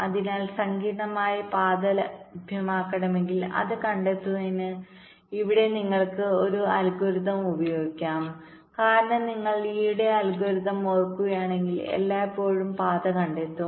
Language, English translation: Malayalam, so here you can use a line such algorithm to find ah complex path if it is available, because, if you recall, the lees algorithm will always find the path